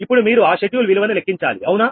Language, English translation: Telugu, now you have to compute that schedule value, right